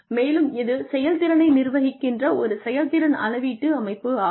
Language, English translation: Tamil, And, it is a performance management system, it is a performance measurement system, that is used to manage performance